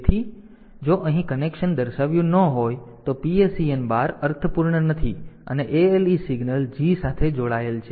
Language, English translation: Gujarati, So, if the connection is not shown here PSEN bar is not meaningful ALE is ALE signal is connected to G